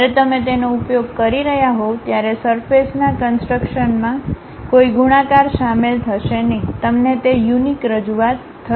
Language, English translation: Gujarati, When you are using that, there will not be any multiplicities involved in that surface construction, you will be having that unique representation